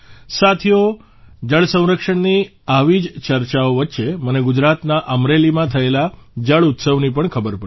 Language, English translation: Gujarati, Friends, amidst such discussions on water conservation; I also came to know about the 'JalUtsav' held in Amreli, Gujarat